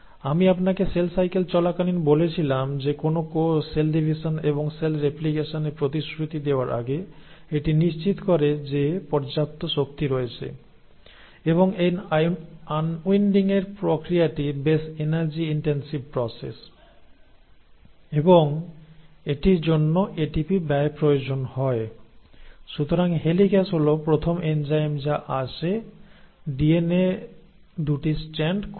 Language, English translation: Bengali, I mentioned to you during cell cycle that before a cell commits itself to cell division and cell replication it ensures that sufficient energy is there and now you can appreciate why because this process of unwinding is a pretty energy intensive process and it does require expenditure of ATP, so helicase is the first enzyme which will come and open up the 2 strands of DNA